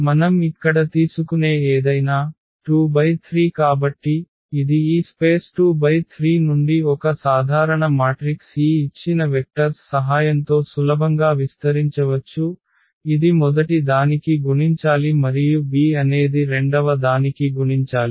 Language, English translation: Telugu, So, anything we take here for example, 2 by 3 so, this is a general matrix from this space 2 by 3 and with the help of this given vectors we can easily expand in terms of like a should be multiplied to the first one now and this b is should be multiplied to the second one and so on